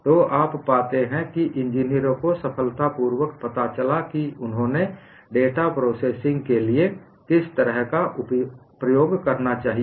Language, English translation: Hindi, So, you find engineers have successfully found out what kind of an approach they should use for data processing